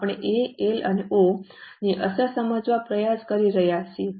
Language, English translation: Gujarati, We are trying to understand the impact of A, L and O